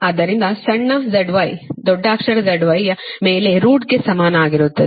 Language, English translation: Kannada, so small z y is equal to root over capital z y